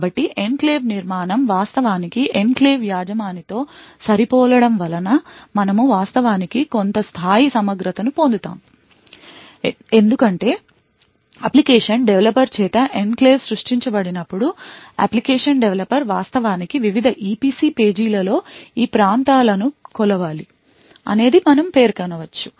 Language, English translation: Telugu, So construction of the enclave would actually result in a matching with the enclave owner so this is where we actually would obtain some level of integrity because when an enclave gets created by an application developer the application developer could actually specify which regions in the various EPC pages should be measured